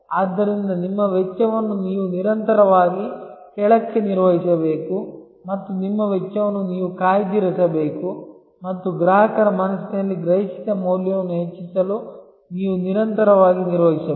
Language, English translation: Kannada, So, you have to manage your cost constantly downwards and you have to reserve your costs and you have to constantly manage for enhancing the perceived value in the mind of the customer